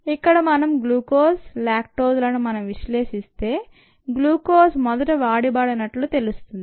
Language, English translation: Telugu, and when you do the analysis of glucose and lactose, one finds that glucose gets consumed here first and then lactose gets consumed